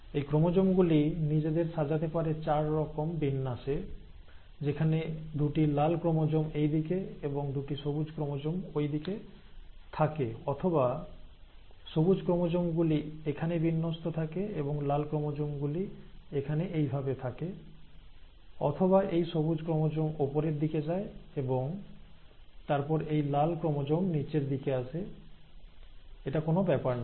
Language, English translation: Bengali, There are four different ways in which these chromosomes can arrange themselves with two red chromosomes on this end, two green chromosomes on this end, or, this green chromosome arranges here, and the red chromosome arranges here, while this remains this way, or, it is this green chromosome going up, and then this red chromosome going down, it does not matter